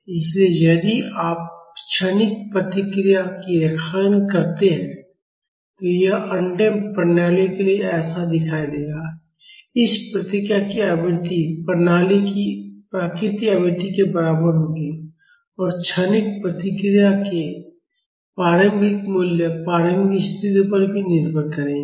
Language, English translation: Hindi, So, if you plot the transient response this will look like this for undamped systems, the frequency of this response will be equal to the natural frequency of the system and the initial values of the transient response will depend upon the initial conditions as well